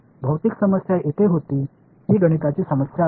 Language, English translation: Marathi, The physical problem was here this is a math problem